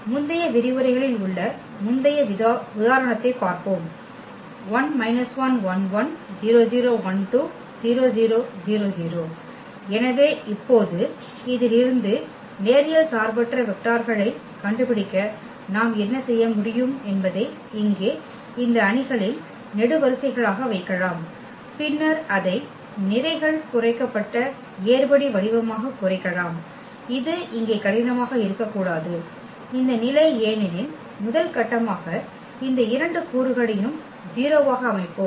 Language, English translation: Tamil, So, now to find out the linearly independent vectors out of this what we can do we can place them in the in this matrix here as the columns, and then we can reduce it to the row reduced echelon form which should not be difficult here in this case because as a first step we will set these two elements to 0